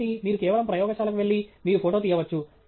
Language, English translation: Telugu, So, you simply go to a lab, and you take a photograph